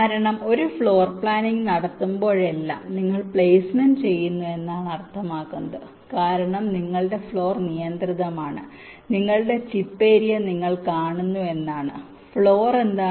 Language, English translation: Malayalam, because whenever do a floor planning, it means you are doing placement, because your floor is restricted, means you see your chip area